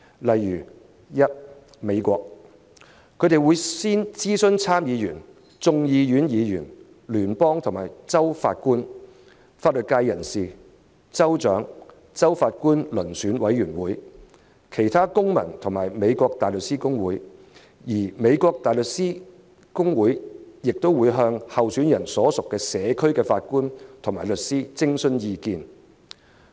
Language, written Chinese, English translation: Cantonese, 在美國，法官候選人須諮詢參眾兩院議員、聯邦和州法官、法律界人士、州長、州法官遴選委員會、其他公民和美國大律師公會的意見，而美國大律師公會亦會向候選人所屬社區的法官及律師徵詢意見。, In the United States in considering a candidate for a judge the authorities will consult Senators Members of the House of Representatives federal and state judges members of the legal community state governors state judicial selection panels citizens and the American Bar Association which will in turn consults judges and lawyers in the candidates state